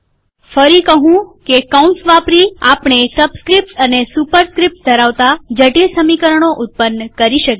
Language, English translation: Gujarati, Once again using braces we can produce complicated expressions involving subscripts and superscripts